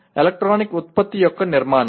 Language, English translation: Telugu, Structuring of an electronic product